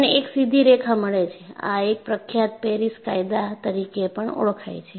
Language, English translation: Gujarati, And you get a straight line, and this is known as same as Paris law